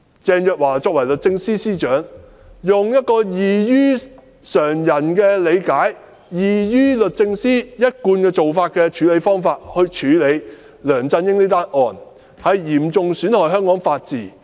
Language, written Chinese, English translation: Cantonese, 鄭若驊作為律政司司長，用一個異於常人的理解、異於律政司一貫做法的方式來處理梁振英這宗案件，嚴重損害香港的法治。, Teresa CHENG the Secretary for Justice has interpreted and handled the case of LEUNG Chun - ying in a way different from our common understanding and DoJs established practice . The rule of law in Hong Kong is thus seriously undermined